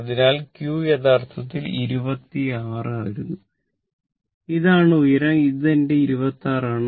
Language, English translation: Malayalam, So, my q actually is coming, your 26 right